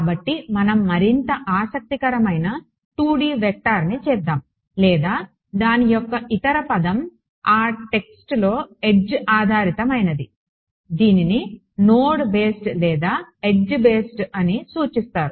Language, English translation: Telugu, So, let us do something more interesting 2D vector or the other word for it is edge based in that text it is refer to as node based and edge based ok